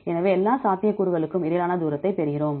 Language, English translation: Tamil, So, we get the distance among all possibilities